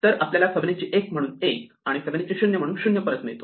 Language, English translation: Marathi, So, we get back Fibonacci 1 as 1 and Fibonacci 0 as 0